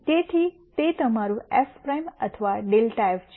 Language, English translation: Gujarati, So, that is your f prime or grad of f